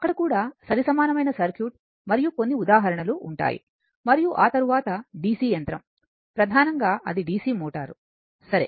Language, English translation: Telugu, There also, up to equivalent circuit and few examples and after that DC machine that is DC motor mainly, right